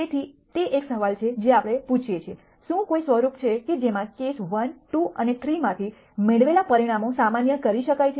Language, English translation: Gujarati, So, that is a question that we are asking, is there any form in which the results obtained from cases 1, 2 and 3 can be generalized